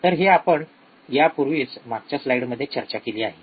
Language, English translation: Marathi, So, this we already discussed in last slide